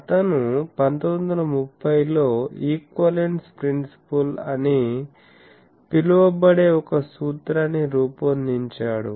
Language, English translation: Telugu, He formulated a principle which is called equivalence principle in 1930s